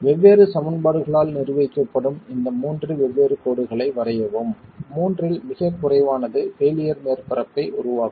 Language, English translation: Tamil, Draw these three different lines governed by different equations, the lowest of the three will form the failure surface